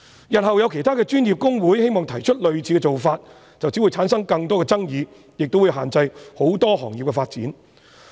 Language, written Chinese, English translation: Cantonese, 日後有其他專業公會希望提出類似的做法，便只會產生更多的爭議，亦會限制很多行業的發展。, If in future other professional institutes wish to adopt a similar approach it will only create more disputes and restrict the development of many professions